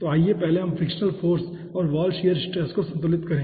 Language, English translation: Hindi, so let us first balance the frictional force and the wall shear stress